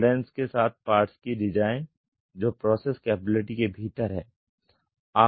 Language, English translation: Hindi, Design parts with tolerances that are within process capability